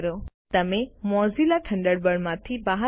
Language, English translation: Gujarati, You will exit Mozilla Thunderbird